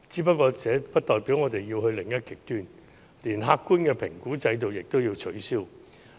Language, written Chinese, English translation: Cantonese, 可是，這不代表我們要走到另一個極端，連客觀的評估制度也取消。, However this does not mean that we have to go to another extreme by scraping the objective assessment system